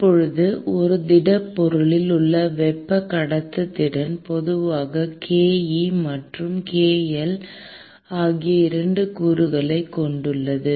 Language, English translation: Tamil, Now, the thermal conductivity in a solid typically has 2 components, ke and kl